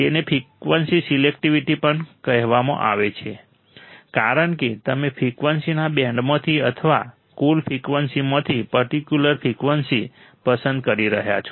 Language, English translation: Gujarati, It is also called frequency selectivity because you are selecting a particular frequency from the band of frequencies or from the total frequencies